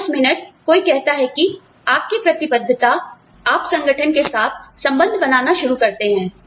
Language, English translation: Hindi, Now, the minute, somebody says that, your commitment, you start bonding with the organization